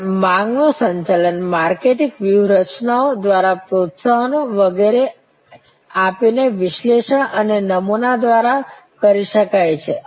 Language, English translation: Gujarati, And demand can be manage through analysis a patterns through marketing strategies by providing incentives and so on